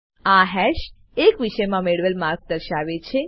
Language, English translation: Gujarati, This hash indicates the marks obtained in a subject